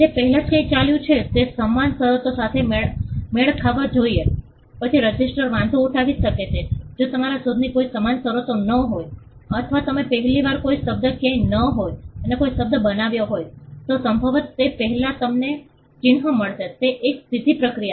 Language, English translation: Gujarati, It is more like matching what has gone before are there similar terms, then the registry may raise an objection if there are no similar terms you invented or you coined a word for the first time nobody else has done, it before most likely you will get the mark it is a straightforward process